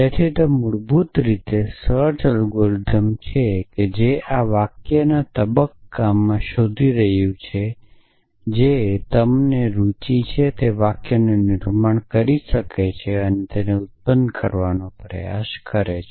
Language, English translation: Gujarati, So, it is basically a search algorithm which is searching in this phase of sentences which can be produce and trying to produce the sentences that you are interested in